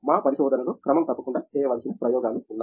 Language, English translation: Telugu, We have regular set of experiments to do in our research